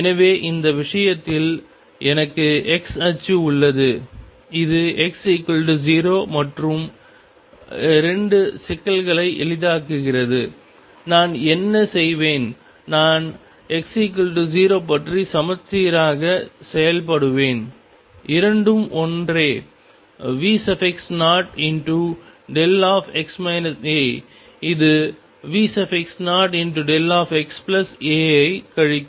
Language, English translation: Tamil, So, in this case, I have the x axis, this is x equal 0 and 2 make the problem simple, what I will do is, I will put the delta function symmetrically about x equals 0 and both are the same V naught delta x minus a and this will minus V 0 delta x plus A